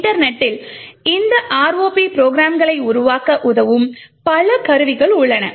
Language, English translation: Tamil, On the internet there are several tools which would help you in building these ROP programs